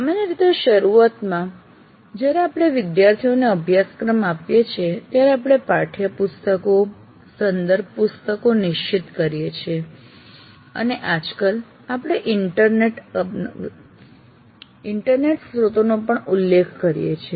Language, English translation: Gujarati, Generally right in the beginning when we give the syllabus to the students, we identify text books, reference books, and these days we also refer to the internet sources